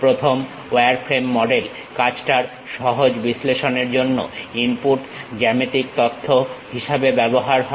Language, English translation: Bengali, The first wireframe model are used as input geometry data for easy analysis of the work